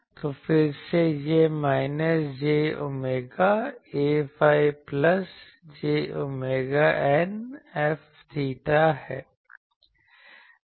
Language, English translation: Hindi, So, again this is minus j omega A phi plus j omega eta F theta